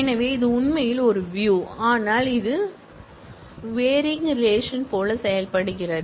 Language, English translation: Tamil, So, this actually is a view, but this behaves as if this is varying relation